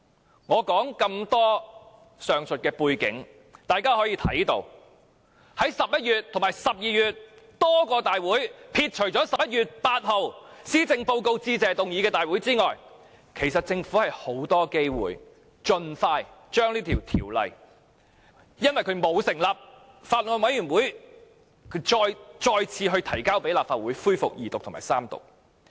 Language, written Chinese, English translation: Cantonese, 從我以上所說的背景，大家可以看到，在11月和12月多個大會上，撇除11月8日留作辯論施政報告致謝議案的大會之外，其實政府有很多機會可以盡快將這項沒有成立法案委員會審議的條例草案再提交立法會恢復二讀及三讀。, From the background as detailed by me Members can see that at the many meetings held in November and December apart from the meeting on 8 November which was scheduled for the debate on the Motion of Thanks actually the Government had plenty of opportunities to expeditiously table before the Legislative Council the Bill on which no Bills Committee was set up for resumption of the Second Reading debate and Third Reading